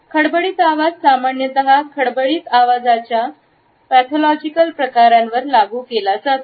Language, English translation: Marathi, Hoarse voice is normally applied to pathological forms of rough voice